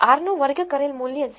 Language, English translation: Gujarati, The r squared value is 0